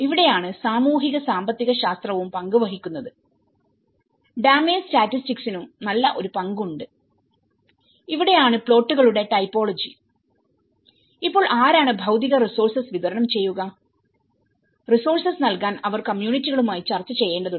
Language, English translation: Malayalam, This is where the socio economics also play into the role and the damage statistics also play into the role and this is where the typology of plots and now who will supply the material resources, you know that is where they have to negotiate with how communities can also provide some resources to it